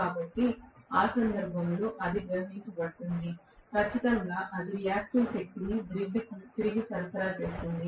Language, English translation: Telugu, So, in that case, it is going to draw, definitely it is going to rather supply excess amount of reactive power back to the grid